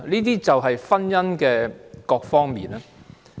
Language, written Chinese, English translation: Cantonese, 這就是婚姻的各方面。, These are various aspects of marriage